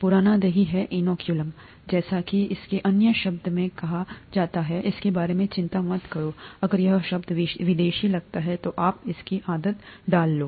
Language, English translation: Hindi, Old curd is the inoculum, as it is called in other term; don’t worry about it if this term seems alien, you will get used to it